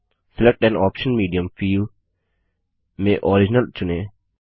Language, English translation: Hindi, In the Select an output medium field, select Original